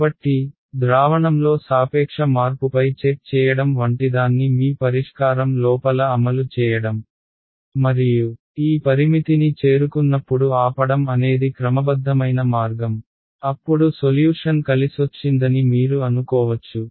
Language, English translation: Telugu, So, the systematic way is to implement inside your solver something like a check on the relative change in solution and stop when this threshold has been met then you can be sure that the solution has converged